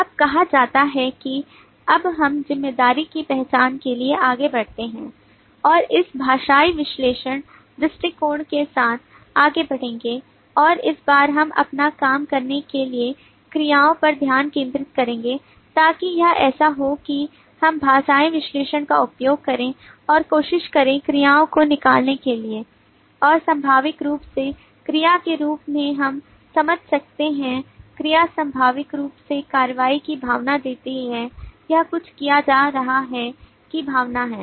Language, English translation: Hindi, now having said that now we move on to the identification of responsibility and we will continue with the linguistic analysis approach and this time we will focus on the verbs to do our task so it will be like this that we will use the linguistic analysis and try to extract verbs and naturally verb as we can understand verb inherently gives a sense of action, it is a sense of something being done